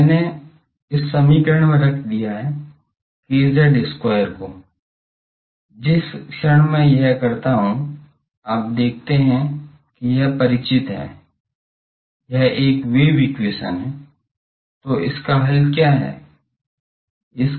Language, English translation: Hindi, Now, this I have put in this equation just k z square, the moment I do that you see this looks familiar, this is an wave equation so what is the solution of this